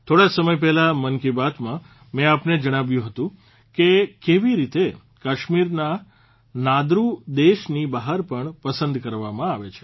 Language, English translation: Gujarati, Some time ago I had told you in 'Mann Ki Baat' how 'Nadru' of Kashmir are being relished outside the country as well